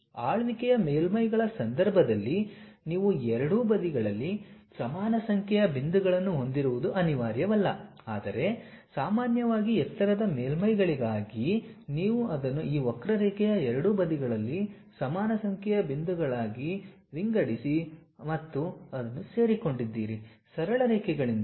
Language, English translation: Kannada, In the case of ruled surfaces, it is not necessary that you will have equal number of points on both the sides, but usually for lofter surfaces you divide it equal number of points on both sides of this curve as and joined by straight lines